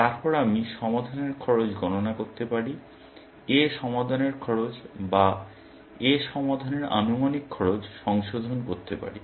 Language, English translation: Bengali, Then, I can compute the cost of solving; revise the cost of solving A or estimated cost of solving A